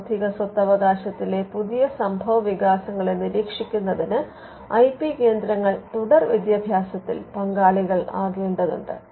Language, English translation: Malayalam, Keeping track of developments new developments in intellectual property right requires IP centres to also participate in ongoing education